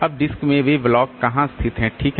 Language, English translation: Hindi, How are this disk blocks located